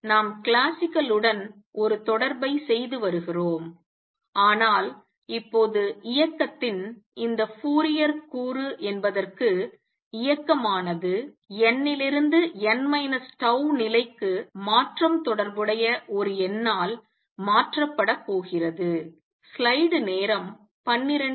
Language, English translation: Tamil, So, we are making a correspondence with classical, but making changes that now any Fourier component of the motion is going to be replaced by a number corresponding to the transition from n th to n minus tau level